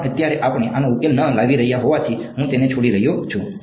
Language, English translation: Gujarati, But since we are not solving this right now, I am just leaving it like that right